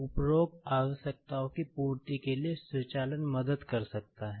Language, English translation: Hindi, Automation can help to fulfill the requirements of the above requirements